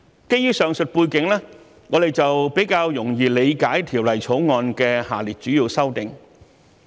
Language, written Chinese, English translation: Cantonese, 基於上述背景，我們比較容易理解《條例草案》的下列主要修訂。, In view of the above background it is easier for us to comprehend the following major amendments proposed in the Bill